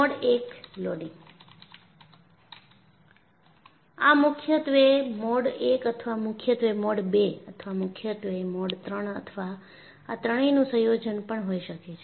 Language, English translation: Gujarati, It may be predominantly Mode I or predominantly Mode II or predominantly Mode II or a combination of this